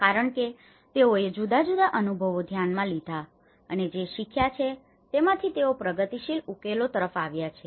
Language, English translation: Gujarati, Because they have considered a different experiences what they have learned and that is where they have come up with a progressive solutions